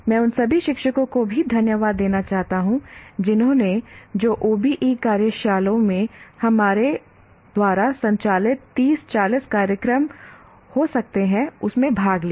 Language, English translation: Hindi, And also would like to thank all the teachers who participated, maybe 30, 40 programs we conducted on OBE workshops